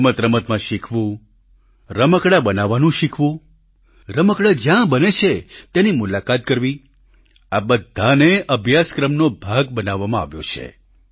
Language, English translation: Gujarati, Learning while playing, learning to make toys, visiting toy factories, all these have been made part of the curriculum